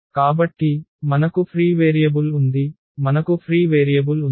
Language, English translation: Telugu, So, we have the free variable we have the free variable